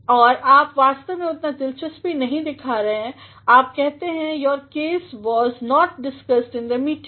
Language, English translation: Hindi, And, you are actually not showing that much of interest, you say your case was not discussed in the meeting